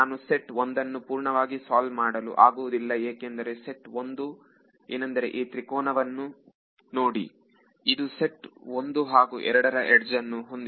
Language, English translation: Kannada, I cannot solve set 1 completely because set 1 will has edges belonging I mean if I look at this triangle it has edges belonging to both set 1 and set 2